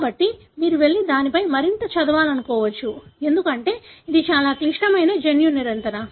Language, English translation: Telugu, So, you may want to go and read more on that, because it is a very complex genetic control